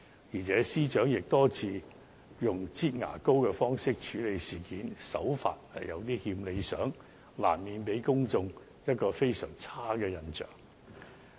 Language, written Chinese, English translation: Cantonese, 此外，司長亦多次以"擠牙膏"的方式處理事件，手法有欠理想，難免給公眾非常差的印象。, Moreover the Secretary for Justice has time and again handled the incident in a manner like squeezing toothpaste out of a tube which was far from satisfactory and gave the public a very bad impression